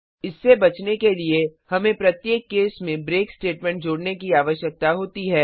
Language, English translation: Hindi, To avoid that, we need to add a break statement in each case